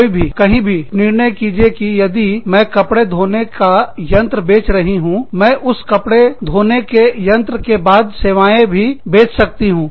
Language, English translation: Hindi, Somebody, somewhere, decided that, if i sell the washing machine, i can also sell the service, after that washing machine